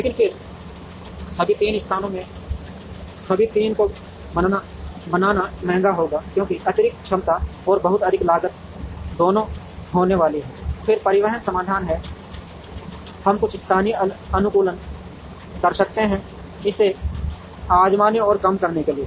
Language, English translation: Hindi, But, then it will be costly to create all the 3 in all the 3 places, because there is going to be both excess capacity and very high cost, then from the transportation solution, we can do some local optimization, to try and reduce this cost further